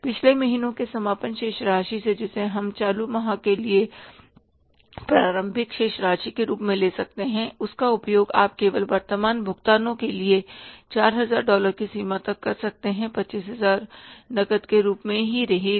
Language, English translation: Hindi, From the previous month's closing balance which became the opening balance for the current month you can use only for the current payments to the extent of $4,000, $25,000 will remain as cash